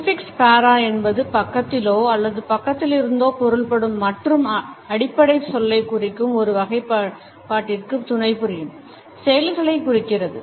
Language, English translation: Tamil, The prefix para means beside or side by side and denotes those activities which are auxiliary to a derivative of that which is denoted by the base word